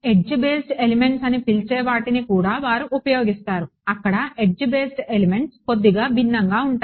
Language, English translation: Telugu, They also use what you call edge based elements, there edge based elements are slightly different